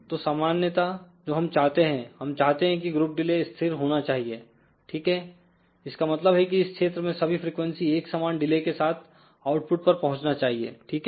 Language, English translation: Hindi, So, generally what we want we want group delay should be constant relatively, ok; that means, that all the frequencies in this particular region should reach the output with the same delay, ok